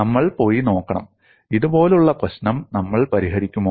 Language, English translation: Malayalam, We have to go and look at; do we solve the problem like this